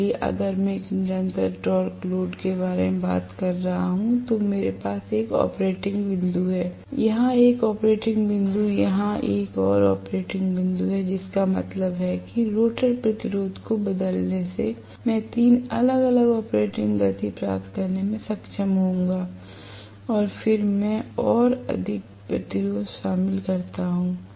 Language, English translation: Hindi, So, if am talking about a constant torque load I have one operating point here, one operating point here, one more operating point here, which means by changing the resistance rotor resistance I will be able to get 3 different operating speeds then I include more and more resistances